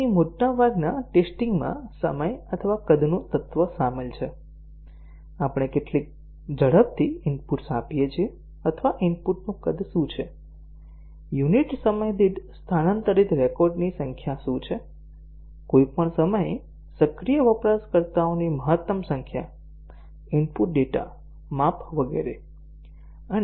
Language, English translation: Gujarati, So, here most of the tests involve an element of time or size, how fast we give inputs or what is the size of the input, what is the number of records transferred per unit time, maximum number of users active at any time, input data size etcetera